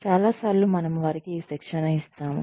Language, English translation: Telugu, Many times, we give them training